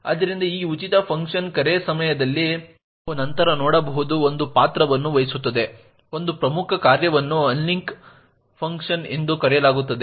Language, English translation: Kannada, So during this free function call as well as during the malloc function call an important function that plays a role as we will see later is something known as the unlink function